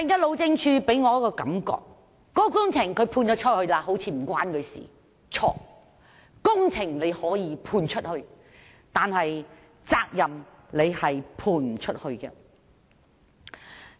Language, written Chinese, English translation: Cantonese, 路政署給我的感覺是工程外判出去後就與它無關，但這是錯的，工程可以外判，責任卻無法外判。, My impression of HyD is that it shows no concern about the works once they are contracted out . That is wrong . Works can be contracted out but not responsibilities